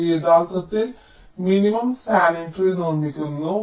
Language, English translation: Malayalam, it actually constructs a minimum spanning tree